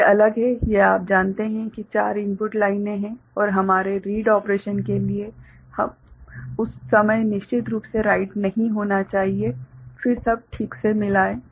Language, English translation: Hindi, So, these are separate this 4 you know input lines are there and for our read operation so, at that time definitely write should not be there then there will be you know, mix up all right